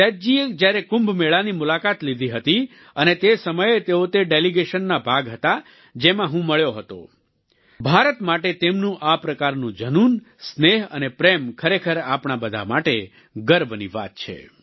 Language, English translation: Gujarati, When Seduji visited Kumbh and at that time he was part of the delegation that I met, his passion for India, affection and love are indeed a matter of pride for all of us